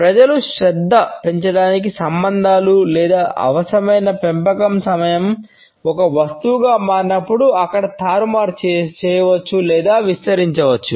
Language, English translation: Telugu, When people are relationships to mount attention or required nurture time becomes a subjective commodity there can be manipulated or stretched